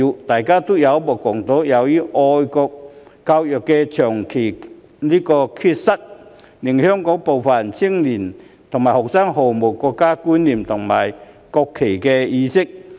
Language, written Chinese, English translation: Cantonese, 大家有目共睹，由於香港長期缺乏愛國教育，令香港部分青年和學生毫無國家觀念，亦對尊重國旗毫無意識。, As we all can see due to the absence of national education in Hong Kong for a long time some young people and students in Hong Kong do not have a sense of national identity at all nor the awareness to respect the national flag